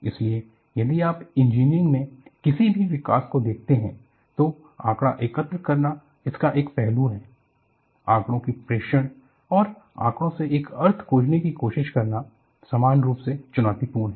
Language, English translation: Hindi, So, if you look at any development engineering, collecting data is one aspect of it; reporting data and trying to find out a meaning from the data, is equally challenging